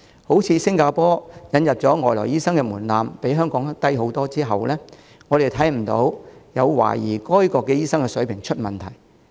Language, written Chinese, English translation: Cantonese, 正如新加坡引入外來醫生的門檻比香港低很多，但我們看不到有懷疑該國醫生的水平出現問題。, In the example of Singapore its threshold for admitting overseas doctors is much lower than that in Hong Kong but there are no queries on the standard of doctors in that country